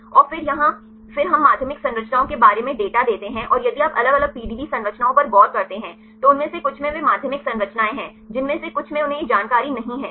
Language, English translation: Hindi, And then here then we give the data about the secondary structures and if you look into the different PDB structures some of them they contain the secondary structures some of them they do not have this information